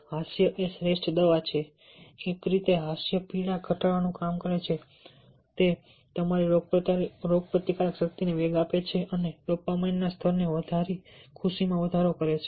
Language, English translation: Gujarati, one way laughter works to reduce pain, boost your immune system and increase happiness by boosting the level of dopamines